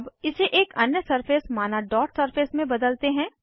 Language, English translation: Hindi, Let us change it to another surface, say, Dot Surface